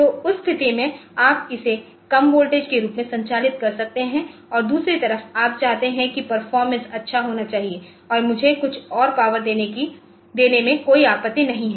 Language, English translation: Hindi, So, in that case you can operate it as a operate it as a lower voltage and the other or the other side so, you may want that performance should be good and I do not matter mind giving some more power